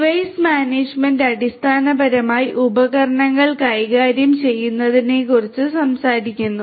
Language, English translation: Malayalam, Device management basically talks about managing the devices; managing the devices